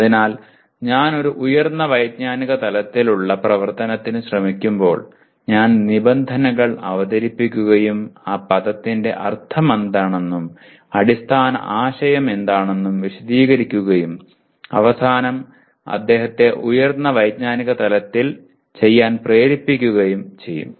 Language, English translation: Malayalam, So when I am trying to, a higher cognitive level activity my instructional activity will introduce the terms and explain what the term means and what the underlying concept is and finally make him do at a higher cognitive level